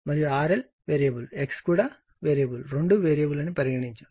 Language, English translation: Telugu, And both variable R L V also variable X is also variable